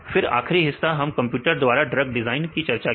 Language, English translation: Hindi, Then the final part the applications we discussed about a computer aided drug design